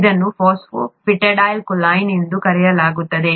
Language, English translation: Kannada, This is called phosphatidyl choline